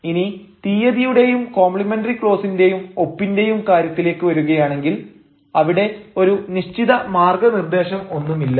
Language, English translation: Malayalam, but when it comes to date, complimentary close and signature, i mean there is no set guideline